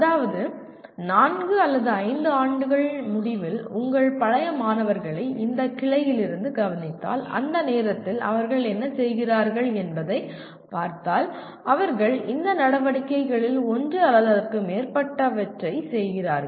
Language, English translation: Tamil, That means if you take your alumni from this branch at the end of four or five years, if you look at what they are at that time doing, they are doing one or more of these activities